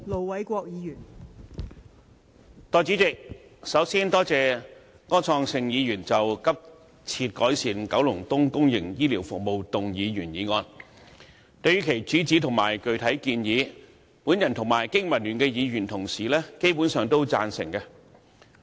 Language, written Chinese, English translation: Cantonese, 代理主席，首先，多謝柯創盛議員就"急切改善九龍東公營醫療服務"動議原議案，對於其主旨和具體建議，我和經民聯各議員同事基本上贊成。, Deputy President first of all I would like to thank Mr Wilson OR for moving the original motion Urgently improving public healthcare services in Kowloon East . Honourable colleagues of the Business and Professionals Alliance for Hong Kong BPA and I basically support the objective and proposals in the motion